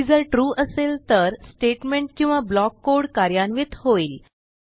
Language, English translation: Marathi, If the condition is True, the statement or block of code is executed.